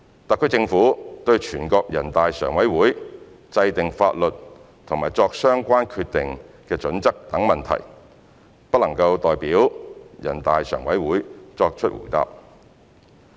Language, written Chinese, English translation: Cantonese, 特區政府對人大常委會制定法律和作相關決定的準則等問題，不能代表人大常委會作答。, The HKSAR Government cannot answer questions relating to the enactment of laws by NPCSC and the criteria for making relevant decisions on behalf of NPCSC